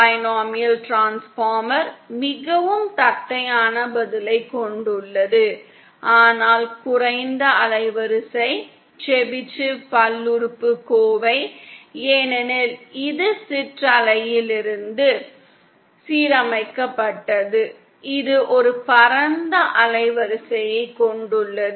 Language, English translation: Tamil, Binomial transformer has a very flat response but lesser band width, Chebyshev polynomial because it is aligned from ripple; it has a wider band width